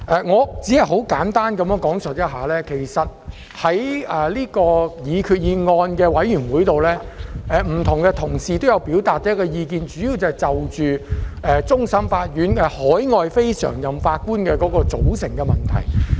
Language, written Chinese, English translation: Cantonese, 我只想簡單地提述，在有關擬議決議案的小組委員會中，各同事均表達了意見，主要是圍繞終審法院海外非常任法官的組成問題。, I would like to say in brief that in the subcommittee on the proposed resolution my Honourable colleagues had expressed views mainly on the composition of CFAs overseas non - permanent judges NPJs